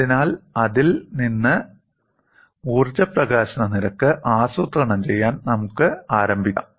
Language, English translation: Malayalam, So, let us start plotting the energy release rate from that